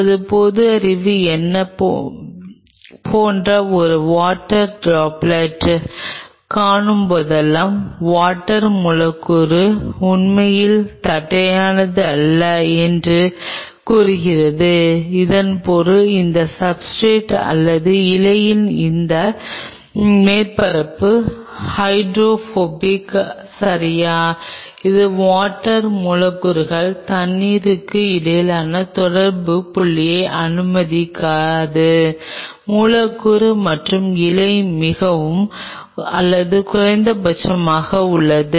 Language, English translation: Tamil, Whenever we see a water droplet like what is our common sense it says that the water molecule is not really flattening out it means this substrate or this surface of the leaf is hydrophobic right, it does not allow the water molecules the contact point between the water molecule and the leaf is very or minimum